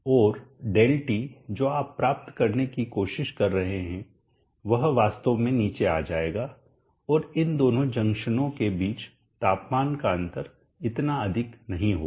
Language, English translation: Hindi, t what you are trying to achieve will actually come down and the temperature difference between these two junctions will not be that much